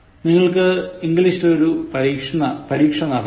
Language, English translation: Malayalam, You need to give a test in English